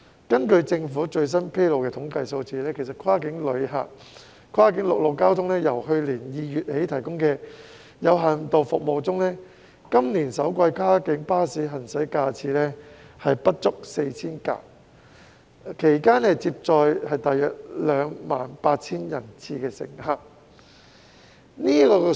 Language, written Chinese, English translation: Cantonese, 根據政府最新披露的統計數字，跨境陸路交通由去年2月起提供的有限度服務中，今年首季跨境巴士的行駛架次不足 4,000 輛，其間接載約 28,000 人次乘客。, According to the latest statistics released by the Government since February last year when limited land - based cross - boundary services have been provided the number of vehicle trips of cross - boundary coaches in the first quarter of this year was less than 4 000 carrying a number of passenger trips of about 28 000